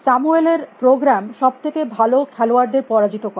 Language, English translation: Bengali, Samuels programs beat the best players